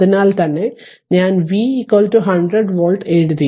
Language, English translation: Malayalam, So, that is why I have written V is equal to 100 volts